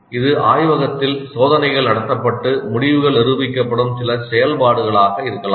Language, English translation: Tamil, It can be some activity in the laboratory where certain experiments are conducted and the results are demonstrated